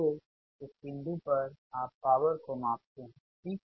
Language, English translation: Hindi, so at this point you measure the power, right